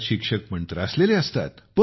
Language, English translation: Marathi, Teachers also get upset